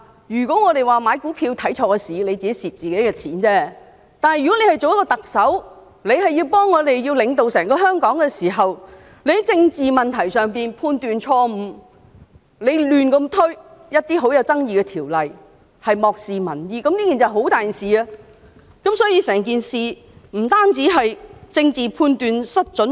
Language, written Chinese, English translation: Cantonese, 如果我們買股票看錯時機，最後虧損的只是我們自己的金錢，但作為特首領導整個香港，如果她在政治問題上判斷錯誤，胡亂推行一些具爭議性的法例，漠視民意，這便是很嚴重的一件事，而整件事亦不單是政治判斷失準。, In the case of stock investment if we made a wrong judgment in timing we might suffer losses yet it would only cost our own money . Nonetheless as the Chief Executive leads Hong Kong as a whole if she makes wrong judgments in political issues implements some controversial laws carelessly and disregards public opinions it is a most serious case . Besides the incident as a whole does not merely involve an inaccurate political judgment